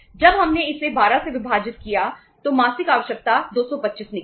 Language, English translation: Hindi, When we divided it by 12 so monthly requirement worked out as 225